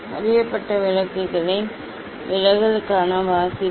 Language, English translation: Tamil, reading for the deviation of known lights